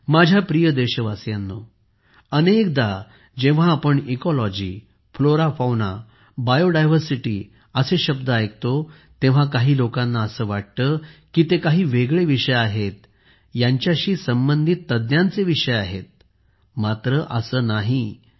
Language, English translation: Marathi, Many a time, when we hear words like Ecology, Flora, Fauna, Bio Diversity, some people think that these are specialized subjects; subjects related to experts